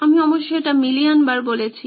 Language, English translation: Bengali, I must have said this a million times